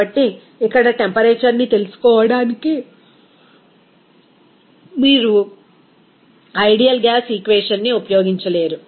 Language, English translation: Telugu, So, you cannot use that ideal gas equation to find out that here temperature